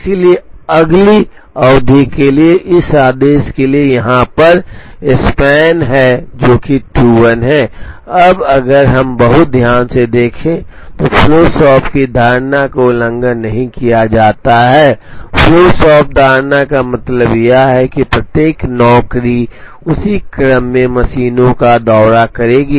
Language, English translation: Hindi, The next span therefore, for this order is 26 compared to the make span here, which is 21, now if we see very carefully the flow shop assumption is not violated the flow shop assumption means that every job will visit the machines in the same order